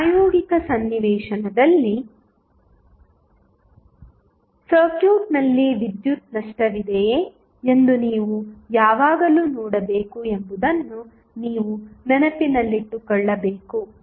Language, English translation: Kannada, So, that is something which you have to keep in mind that in practical scenario, you always have to see whether there is a power loss in the circuit are not